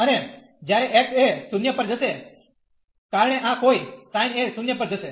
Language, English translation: Gujarati, And when x goes to 0, because of the sin this will go to 0